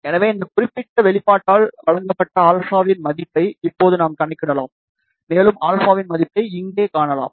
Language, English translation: Tamil, So, now we can calculate the value of alpha, which is given by this particular expression, and we can find the value of alpha over here